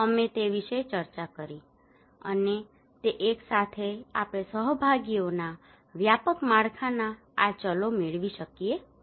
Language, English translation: Gujarati, We discussed about that, and with that one we can get these variables of a comprehensive framework of participations